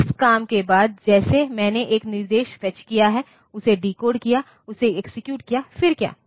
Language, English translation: Hindi, So, after this work like I have fetched one instruction decoded it, executed it, then what